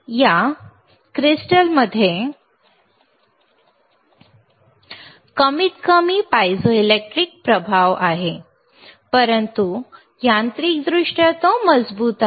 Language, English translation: Marathi, and tThis crystal ishas atthe least piezoelectric effect, but mechanically it is robust or strongest